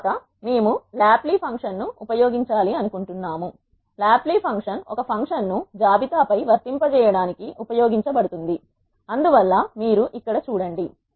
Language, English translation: Telugu, Next we want to lapply function, lapply function is used to apply a function over a list so that is where you have l here